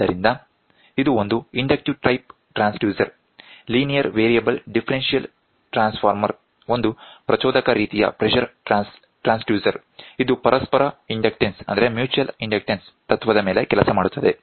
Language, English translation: Kannada, So, this is an inductive type transducer, the linear variable differential transformer is an inductive type of pressure transducer that works on mutual inductance principle